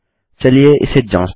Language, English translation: Hindi, Lets just test this out